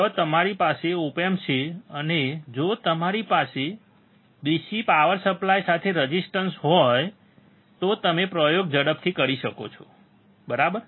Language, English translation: Gujarati, Where you have op amp and if you have the resistors with DC power supply, then you can perform the experiment quickly, right